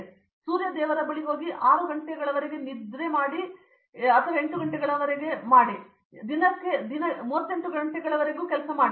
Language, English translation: Kannada, So, go to Sun God and say extend 6 hours and make it 8 hours and make it 32 hours a day